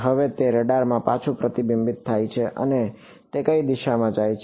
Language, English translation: Gujarati, Now it reflects back from the radar and it goes into which direction the